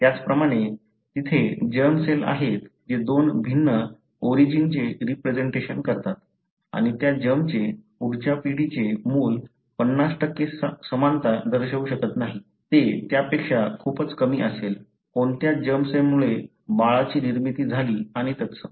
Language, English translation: Marathi, Likewise, there are germ cells which represent two different origins, and that germs, the next generation the child may not show 50% similarity, it will be much less than that, depending on which germ cell led to the formation of the kid and so on